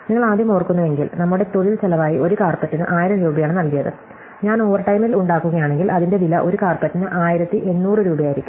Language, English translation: Malayalam, So, if you remember originally we paid 1000 rupees per carpet as our labor cost, so if I make it in overtime, it is going to cost be instead rupees 1800 per carpet